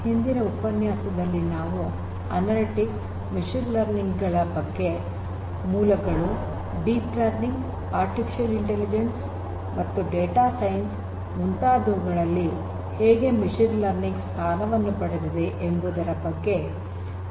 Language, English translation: Kannada, In the previous lecture we spoke about understanding analytics, the basics of analytics, the basics of machine learning, how machine learning positions itself with deep learning, artificial intelligence, data science and so on